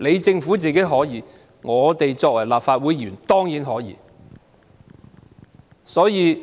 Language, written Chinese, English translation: Cantonese, 政府可以，我們作為立法會議員當然也可以。, While the Government is entitled to do so so are we in our capacity as Legislative Council Members of course